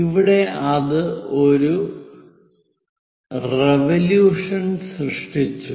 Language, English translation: Malayalam, Here it made one revolution